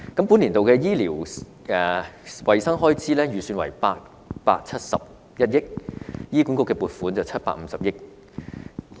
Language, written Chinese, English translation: Cantonese, 本年度的醫療衞生開支預算為871億元，醫管局的撥款為750億元。, The estimated expenditure on medical and health care amounts to 87.1 billion in this year among which a provision of 75 billion is allocated to HA